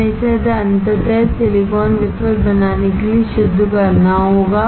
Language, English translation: Hindi, We have to purify it to finally form the silicon wafer